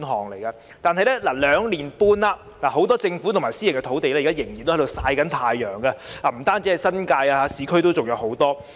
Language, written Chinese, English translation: Cantonese, 然而，兩年半過去了，很多政府土地和私人土地仍然在"曬太陽"，不只在新界，市區也有很多。, However while two and a half years have lapsed a lot of government land and private land are still lying idle under the sun . They are not only found in the New Territories there are also plenty in the urban areas